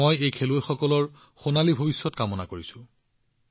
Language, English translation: Assamese, I also wish these players a bright future